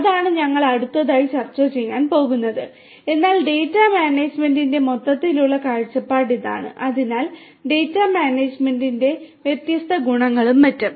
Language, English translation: Malayalam, Those are the things that we are going to discuss next, but this is the overall per view of data management so the different attributes of data management and so on